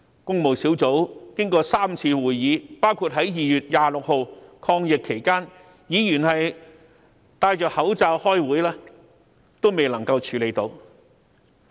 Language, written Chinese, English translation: Cantonese, 工務小組委員會經過3次會議，包括在2月26日抗疫期間，議員戴上口罩開會亦未能完成審議。, The Public Works Subcommittee was unable to complete the scrutiny of the projects after three meetings one of which was held on 26 February during the epidemic with Members wearing face masks